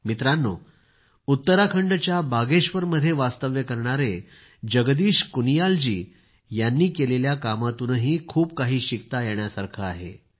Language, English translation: Marathi, the work of Jagdish Kuniyal ji, resident of Bageshwar, Uttarakhand also teaches us a lot